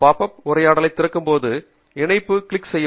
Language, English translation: Tamil, click on the link export to open up the pop up dialog